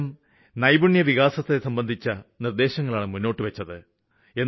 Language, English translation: Malayalam, They have written about Skill Development